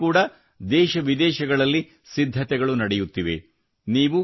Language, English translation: Kannada, Preparations are going on for that too in the country and abroad